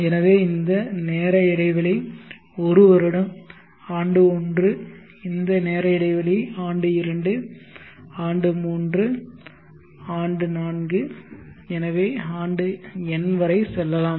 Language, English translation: Tamil, So let us say this time interval is one year, year one this time interval is year two, year three, year four so on up to year n